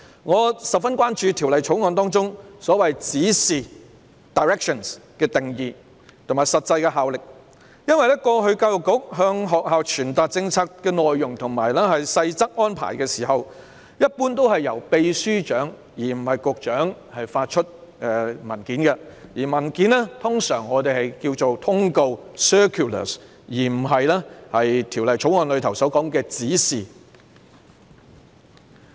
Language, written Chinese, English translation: Cantonese, 我十分關注《條例草案》中所謂"指示"的定義和實際效力，因為過去教育局向學校傳達政策內容和細則安排的時候，一般是由常任秘書長而非局長發出文件，而我們通常稱有關文件為"通告"而非《條例草案》所說的"指示"。, I am gravely concerned about the definition and actual effect of the directions referred to in the Bill because in the past when the Education Bureau briefed the schools about a policy and details of the arrangements usually a document would be issued by the Permanent Secretary rather than the Secretary . The relevant documents in general are known as circulars rather than directions as stated in the Bill